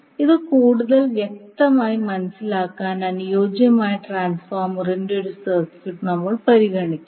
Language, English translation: Malayalam, So to understand this more clearly will we consider one circuit of the ideal transformer